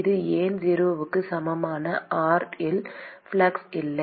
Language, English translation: Tamil, Why it is no flux at r equal to 0